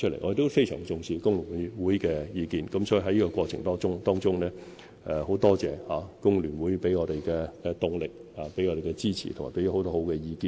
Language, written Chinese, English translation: Cantonese, 我們非常重視工聯會的意見，所以在這過程中，很感謝工聯會給我們的動力、支持和有用的意見。, FTU has indeed perseveringly and repeatedly taken such matters up with me Mr Matthew CHEUNG and other colleagues . We set great store by FTUs opinions so we are very grateful to FTU for giving us motivation support and useful opinions in the process